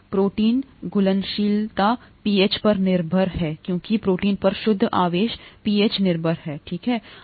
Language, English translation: Hindi, The protein solubility is pH dependent because the net charge on the protein is pH dependent, right